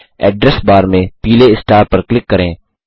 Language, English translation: Hindi, In the Address bar, click on the yellow star